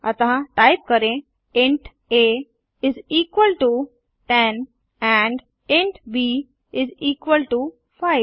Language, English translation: Hindi, So type int a is equalto 10 and int b is equalto 5